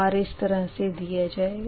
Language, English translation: Hindi, actually, r is like this, right